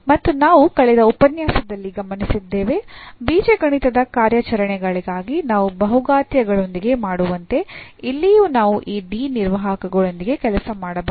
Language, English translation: Kannada, And we have also observed in the last lecture that we can work with these operators D as the algebraic operations we do with the polynomials